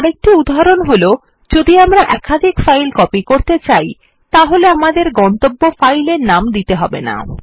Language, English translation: Bengali, Another instance when we do not need to give the destination file name is when we want to copy multiple files